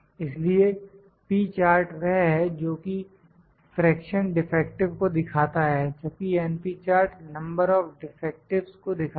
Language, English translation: Hindi, It shows the fraction defective and np chart it shows the number of defectives